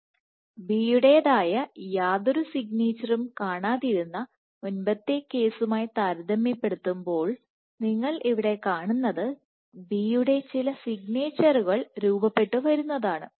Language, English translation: Malayalam, So, what you see here, compared to the previous case, when you did not see any other signature from B you see some signature of B appearing